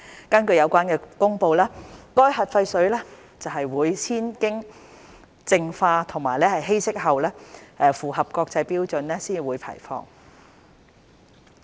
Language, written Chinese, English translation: Cantonese, 根據有關的公布，核廢水會先經淨化和稀釋後，符合國際標準才會排放。, According to the announcement the nuclear wastewater will be purified and diluted to meet relevant international standards before discharge